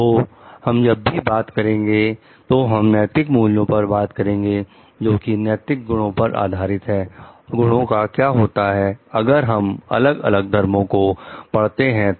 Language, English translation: Hindi, So, whenever we are talking of ethical values, which are based on moral qualities, virtues what happens if we study different religions also